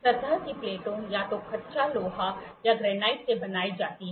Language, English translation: Hindi, The surface plates are made either of cast iron or of granite